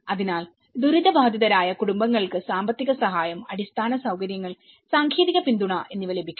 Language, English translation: Malayalam, So, once the affected families could receive the financial aid, infrastructure, technical support